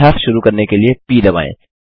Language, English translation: Hindi, Press p to start practicing